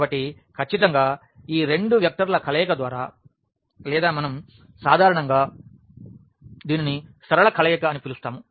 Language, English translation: Telugu, So, certainly by any combination of these two vectors or rather we usually call it linear combination